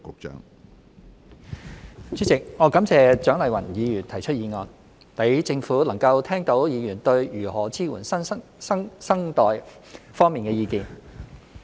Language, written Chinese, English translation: Cantonese, 主席，我感謝蔣麗芸議員提出議案，讓政府能夠聽到議員對如何支援新生代方面的意見。, President I thank Dr CHIANG Lai - wan for proposing this motion so that the Government can listen to Members views on how we should support the new generation